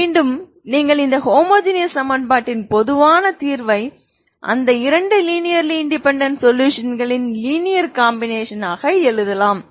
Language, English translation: Tamil, Again you can write the general solution of this homogeneous equation as a linear combination of those two linearly independent solutions ok